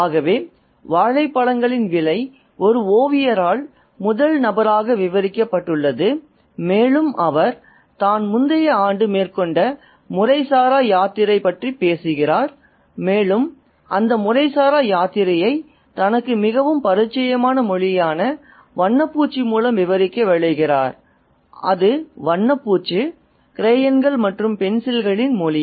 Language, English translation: Tamil, So, the price of bananas is narrated in the first person by an artist, a painter, and he talks about his informal pilgrimage which he undertook on the previous year and he hopes to narrate that informal pilgrimage through paint and through the language that he is very familiar with and that is the language of paint and crayons and pencils